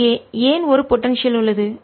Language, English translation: Tamil, why is there a potential